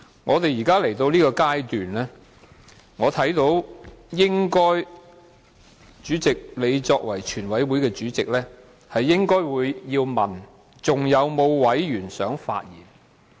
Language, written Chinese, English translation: Cantonese, 會議來到現在這階段，主席你作為全體委員會主席，應該問"是否有其他委員想發言？, Since the meeting has reached the present stage as the Chairman of the committee of the whole Council the President should ask Does any other Member wish to speak?